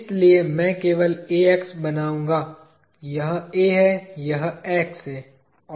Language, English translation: Hindi, Let us say A, this is X, this is B